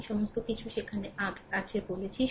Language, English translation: Bengali, I told you everything all right of is there